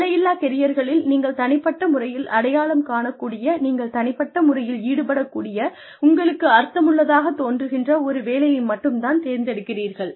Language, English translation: Tamil, So, in boundaryless careers, you only take up work, that you can personally identify with, that you can personally get involved in, that seems meaningful to you